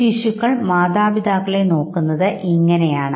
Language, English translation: Malayalam, Now this is how the infants they look at their parents